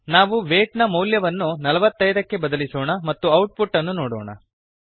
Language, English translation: Kannada, Let us change the value of weight to 45 and see the output